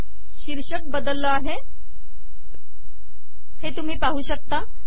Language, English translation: Marathi, You can see that the title has now changed